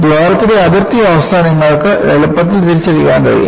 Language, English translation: Malayalam, You can easily identify the boundary condition on the hole